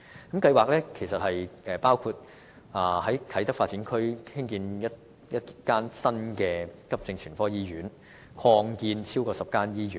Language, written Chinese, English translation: Cantonese, 該計劃包括在啟德發展區興建一間大型急症全科醫院及擴建或重建超過10間醫院。, The development plan includes the construction of a new major acute general hospital in the Kai Tak Development Area and the redevelopment or expansion of over 10 hospitals